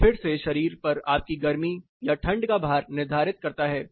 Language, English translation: Hindi, This again determines your heat or cold loads on the body